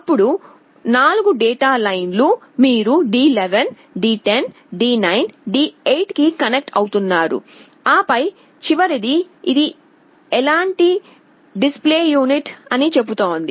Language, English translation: Telugu, Then the 4 data lines, you are connecting to D11, D10, D9, D8 and then the last one says what kind of display unit is this